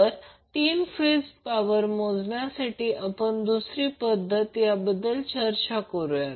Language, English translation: Marathi, Let us discuss the techniques which we will use for the measurement of three phase power